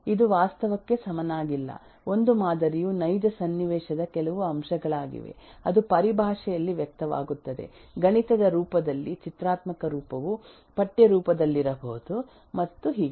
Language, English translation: Kannada, It is not exactly same as reality, a model is certain aspects of a real situation which is expressed in terms of mathematical form, graphical form may be in textual form and so on